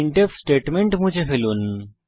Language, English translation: Bengali, Delete the printf statement